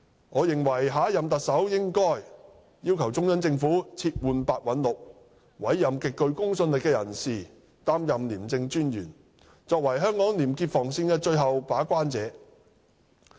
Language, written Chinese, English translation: Cantonese, 我認為下任特首應要求中央政府撤換白韞六，委任極具公信力的人士擔任廉政專員，作為香港廉潔防線的最後把關者。, I think the next Chief Executive should ask the Central Government to replace Simon PEH and appoint a highly credible ICAC Commissioner to be the ultimate gate - keeper guarding probity in Hong Kong